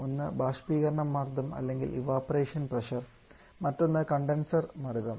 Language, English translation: Malayalam, One is the evaporator pressure and other is a condenser pressure